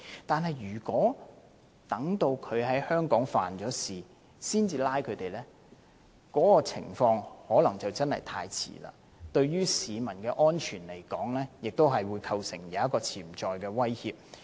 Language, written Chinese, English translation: Cantonese, 但是，如果要等他在香港犯案後才拘捕他，可能已經太遲，對市民的安全亦構成潛在的威脅。, Nevertheless it may be too late to apprehend him after he has committed a crime in Hong Kong; and the arrangement poses potential security risks to Hong Kong people